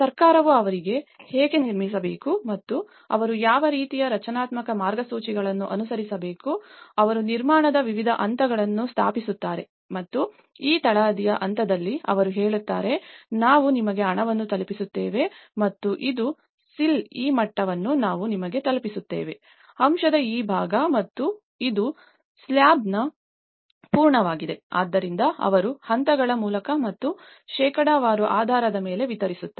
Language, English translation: Kannada, Because the government provides them how to build and what kind of structural guidelines they have to follow and they disperse, they set up different stages of construction and they say at this plinth level, this is what we deliver you the money and this is a sill level this is what we deliver you, this part of the amount and this is the completion of the slab, this is the amount, so then that way they distributed by the stages and in the percentage basis